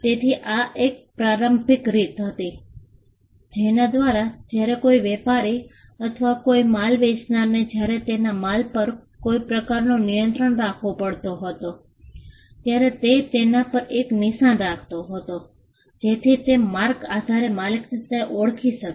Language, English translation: Gujarati, So, this was an initial way by which when a trader or a seller of a goods when he had to have some kind of control over his goods, he would put a mark on it, so that marks could identify the owner